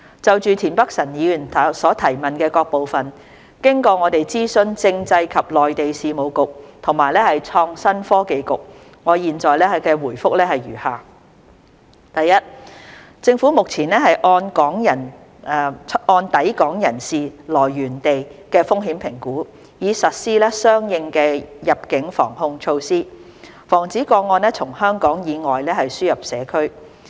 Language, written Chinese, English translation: Cantonese, 就田北辰議員質詢的各部分，經過我們諮詢政制及內地事務局和創新及科技局，我現答覆如下：一政府目前按抵港人士來源地的風險評估，以實施相應的入境防控措施，防止個案從香港以外輸入社區。, In consultation with the Constitutional and Mainland Affairs Bureau and the Innovation and Technology Bureau I reply to the various parts of the question raised by Mr Michael TIEN as follows 1 The Government currently implements corresponding border control measures according to the assessed risks of the relevant origins of the incoming travellers to prevent importation of cases from outside Hong Kong